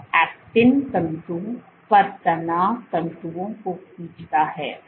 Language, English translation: Hindi, it exerts it pulls on stress fibers on actin filaments